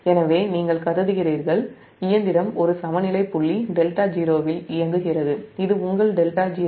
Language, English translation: Tamil, so you consider the machine operating at an equilibrium point, delta zero